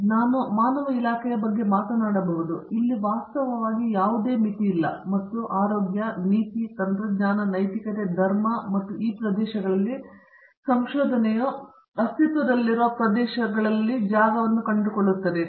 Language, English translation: Kannada, And, I can speak about the humanities department, here there is no limit in fact and we see the research ranging in health, policy, technology, ethics, religion and these areas do find a space in existing areas as well